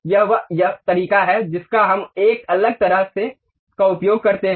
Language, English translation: Hindi, This is the way we use different kind of things